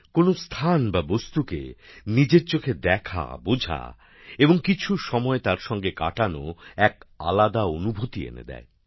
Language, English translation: Bengali, Seeing things or places in person, understanding and living them for a few moments, offers a different experience